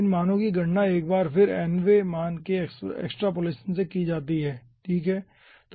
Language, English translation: Hindi, these values are once again calculated from extrapolation nth value